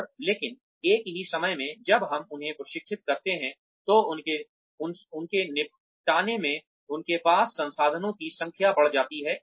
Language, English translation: Hindi, And, but at the same time, when we train them, the number of resources they have, at their disposal increases